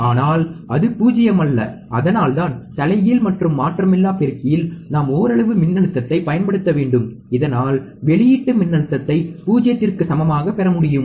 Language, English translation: Tamil, But it is not 0, that is why I have to apply some amount of voltage, at the inverting and non inverting amplifier so that I can get the output voltage equal to 0